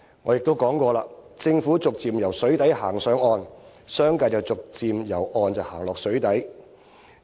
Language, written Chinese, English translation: Cantonese, 我也說過，政府逐漸由水底走上岸，商界逐漸由岸上走進水底。, As I have said before while the Government is leaving the water for the shore the business sector is moving the other way around